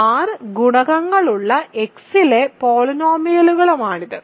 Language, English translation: Malayalam, So, this is polynomials in X with coefficients in R right